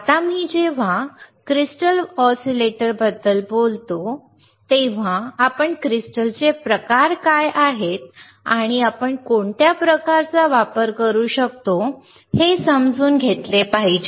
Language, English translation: Marathi, Now, when I talk about crystal oscillators, we should understand what are the crystal types are and we have to understand right, then only we can see which type we can use it